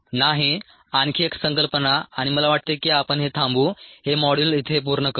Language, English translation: Marathi, one more concept and i think we will stop the ah, finish up this module here